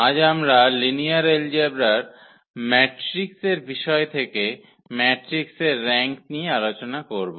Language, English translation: Bengali, And today we will discuss Rank of a Matrix from this topic of the matrix which are linear algebra